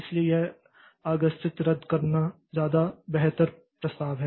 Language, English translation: Hindi, So, this deferred cancellation is a much better proposition